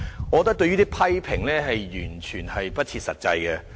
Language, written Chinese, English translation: Cantonese, 我覺得這些批評完全不設實際。, I consider such criticisms completely unrealistic